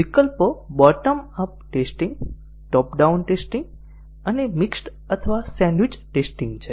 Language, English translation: Gujarati, Alternatives are the bottom up testing, top down testing and a mixed or sandwich testing